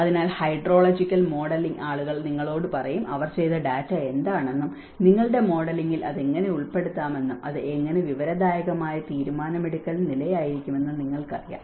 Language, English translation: Malayalam, So, then the hydrological modeling people will tell you, you know what is the data they have done and how you can incorporate that in your modeling and how that can be informative decision making level